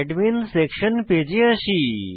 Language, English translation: Bengali, So, we come back to Admin Section Page